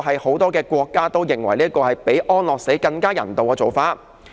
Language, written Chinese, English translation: Cantonese, 很多國家都認為這做法比安樂死更人道。, It is widely recognized by many countries that this is a far better approach than euthanasia